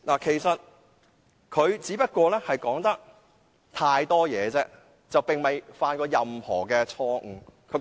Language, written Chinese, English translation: Cantonese, 其實，他只是說話太多，並無犯任何錯失。, In fact he just talked too much and did not commit any mistake